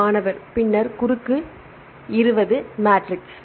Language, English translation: Tamil, Then the 20 cross 20 matrix